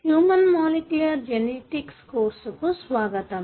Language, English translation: Telugu, Welcome to human molecular genetics course